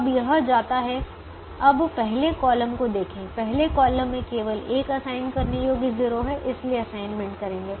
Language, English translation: Hindi, so now the second row or the fourth column has only one assignable zero and make the assignment